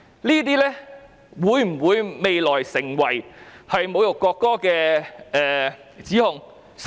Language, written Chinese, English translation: Cantonese, 這些行為未來會否構成侮辱國歌的指控？, Will such behaviour constitute an alleged insult to the national anthem in the future?